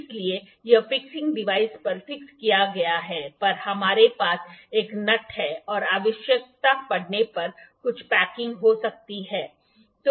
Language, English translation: Hindi, So, it is fixed on the fixing device on the fixing device we have this nut and there may be some packing sometime if it is required